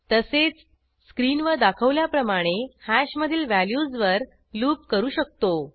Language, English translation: Marathi, Similarly, we can loop over hash values as shown on the screen